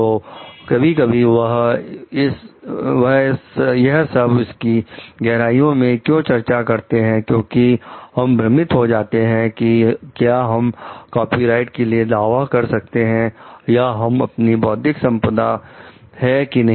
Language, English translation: Hindi, So, sometimes why we are discussing this at length like sometimes, we are confused about like can we claim for a copyright or it is it our intellectual property or not